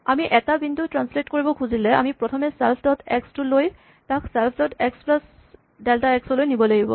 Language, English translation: Assamese, So, what do we want to do when we want to translate a point, we want to take self dot x and move it to self dot x plus the value delta x